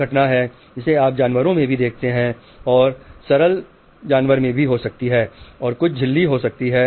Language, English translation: Hindi, This is the phenomena which you see in animals and maybe simpler animals and maybe some membrane